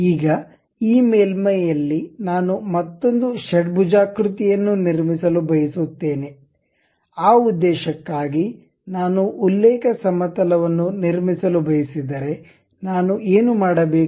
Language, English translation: Kannada, Now, on this surface I would like to construct another hexagon kind of thing inclinely passing through that; for that purpose if I would like to construct a reference plane, what I have to do